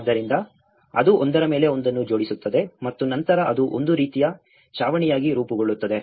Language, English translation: Kannada, So, it couples one over the another and then it forms as a kind of roof